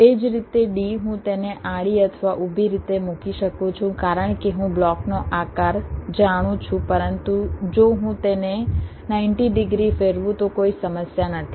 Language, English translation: Gujarati, ok, similarly, d, i can lay it out either horizontally or vertically because i know the shape of the block, but there is no problem if i rotate it by ninety degrees